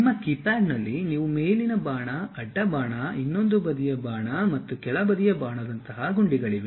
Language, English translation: Kannada, You use on your keypad there are buttons like up arrow, side arrow, another side arrow, and down arrow